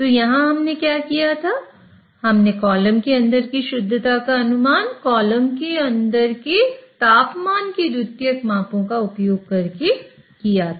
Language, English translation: Hindi, So, here, what we did was we inferred the purity inside the column by using a secondary measurement of temperature inside the column